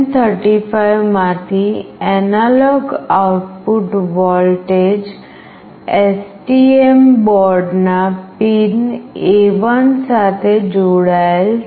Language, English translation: Gujarati, The analog output voltage from LM35 is connected to pin A1 of the STM board